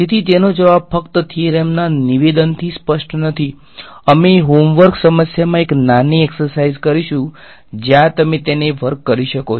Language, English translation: Gujarati, So, the answer to that is not clear just from the statement of the theorem, we will have a small exercise in the homework problem where you can work it out